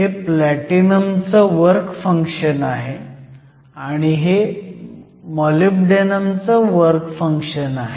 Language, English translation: Marathi, So, this is the work function of the Platinum, this is the work function of Molybdenum